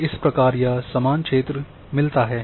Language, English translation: Hindi, And this is how the equal area is